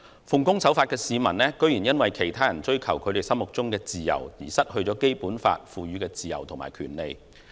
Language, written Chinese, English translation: Cantonese, 奉公守法的市民居然因為其他人追求他們心目中的自由，而失去《基本法》賦予的自由和權利。, It is a pity that law - abiding citizens have lost the freedoms and rights conferred on them under the Basic Law as a result of others pursuit of their version of freedom